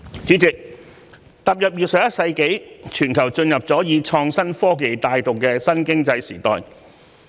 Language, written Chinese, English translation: Cantonese, 主席，踏入21世紀，全球已進入以創新科技帶動的新經濟時代。, President moving into the 21 century the whole world has entered a new economic era driven by innovation and technology